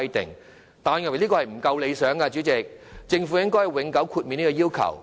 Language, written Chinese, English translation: Cantonese, 不過，我認為這樣做仍不夠理想，政府應永久豁免這項要求。, However this is still not good enough and I think the Government should exempt them permanently from the requirement